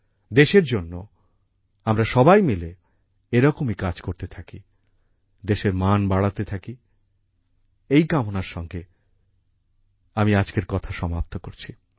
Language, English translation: Bengali, Let us all keep working together for the country like this; keep raising the honor of the country…With this wish I conclude my point